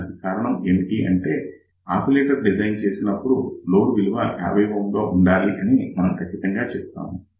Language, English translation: Telugu, The reason for that is invariably when we design an oscillator, we always say that the load will be equal to 50 ohm